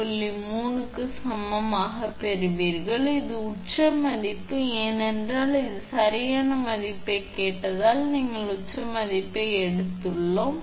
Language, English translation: Tamil, 3 kV this is peak value, because this one we have taken peak value because it has been asked right